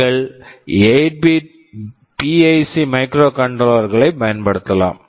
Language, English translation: Tamil, You can use 8 bit PIC microcontrollers